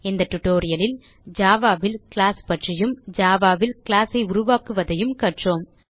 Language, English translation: Tamil, So, in this tutorial we learnt about a class in java and how to create a class in java